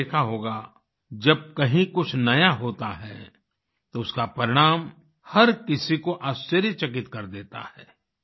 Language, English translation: Hindi, And you must have seen whenever something new happens anywhere, its result surprises everyone